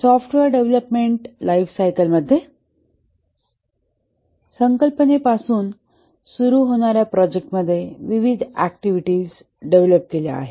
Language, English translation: Marathi, In the software development lifecycle, the project starting from the concept is developed by various activities